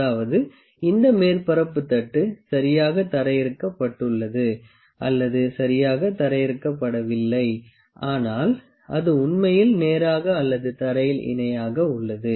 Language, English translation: Tamil, That is, made that made a surface plate is properly grounded or not properly grounded is actually straight or parallel to the ground